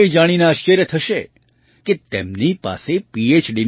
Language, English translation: Gujarati, You will be surprised to know that he also has three PhD degrees